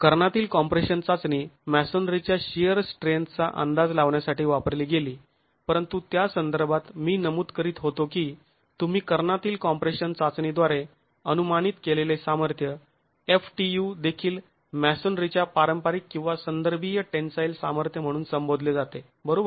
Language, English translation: Marathi, The diagonal compression test was used to estimate the sheer strength of masonry but in that context I was mentioning that the strength FTA that you estimate from the diagonal compression test is also referred to as the conventional or referential tensile strength of masonry